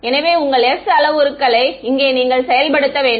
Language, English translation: Tamil, So, you get to implement your s parameters over here